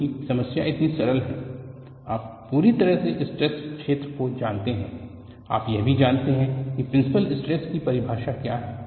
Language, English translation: Hindi, Because the problem is so simple, completely the stress field you also know what is the definition of a principle stress